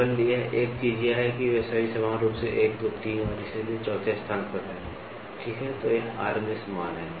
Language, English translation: Hindi, The only thing is they are all equally spaced ordinates at points 1, 2, 3 and so 4th, ok, this is RMS value